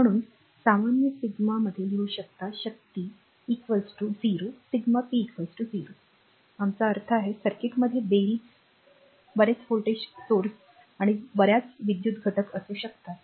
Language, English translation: Marathi, Therefore, we can write in general sigma power is equal to 0 sigma p is equal to 0 our meaning is in a circuit you may have many voltage sources and many electrical elements right